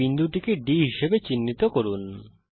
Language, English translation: Bengali, Lets mark this point as D